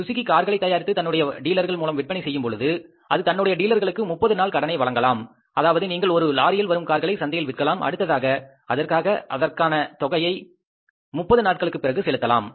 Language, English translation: Tamil, When Suzuki is manufacturing cars and it is selling its cars through the dealers in the market, dealers network in the market, it may be possible that Suzuki is giving a, say, 30 days credit to its dealers, that you take the truckload of cars, you sell them in the market, you have to pay for a given truckload of the cars after the period of 30 days